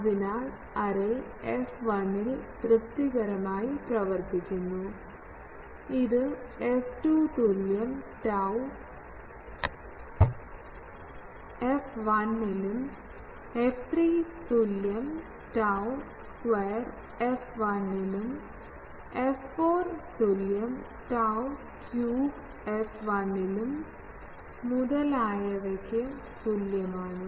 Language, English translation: Malayalam, So, if this array operates satisfactorily at f 1, then it will also operate at f 2 is equal to tau f 1, f 3 is equal to tau square f 1, f 4 is equal to tau q f 1 etc